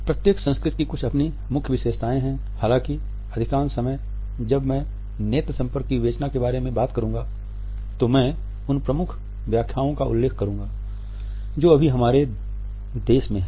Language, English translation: Hindi, There are certain dominant interpretations in every culture also; however, most of the times when I would be talking about the interpretations of our eye contact, I would refer to the dominant interpretations which we have in our country right now